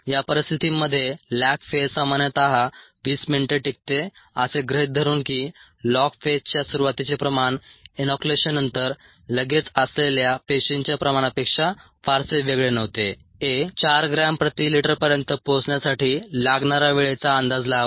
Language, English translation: Marathi, under these conditions, assuming that the cell concentration at the start of the lag phase, the start of the log phase, was not significantly different from that immediately after inoculation, a estimate the time needed for it to reach four gram per liter, the